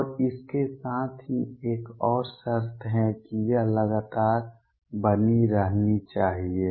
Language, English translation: Hindi, And with this also there is one more condition this should be continuous